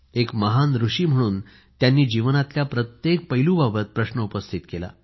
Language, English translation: Marathi, Thus, as a great sage, he questioned every facet of life